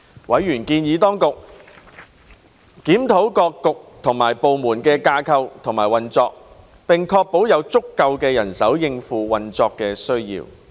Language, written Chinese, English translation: Cantonese, 委員建議當局檢討各政策局及部門的架構和運作，並確保有足夠人手應付運作需要。, Members suggested that the Administration should review the structure and operations of bureaux and departments and ensure that there was adequate manpower to meet their operational needs